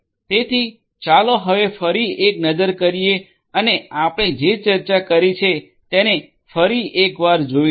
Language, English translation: Gujarati, So, let us now again take a look and take a recap of what we have discussed